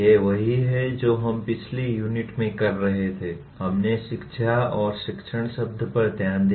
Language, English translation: Hindi, These are what we were doing in the previous unit, we looked at the words education and teaching